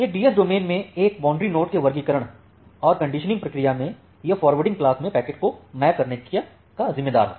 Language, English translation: Hindi, The classification and conditioning process of a boundary node in a DS domain it is responsible for mapping packets to a forwarding class